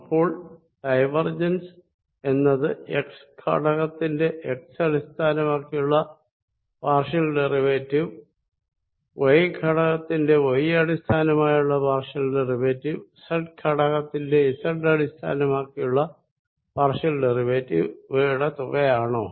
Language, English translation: Malayalam, so is divergence is going to be the sum of the partial derivative of x component with respect to x, partial derivative of y component with respect to y and partial derivative of z component with respect to z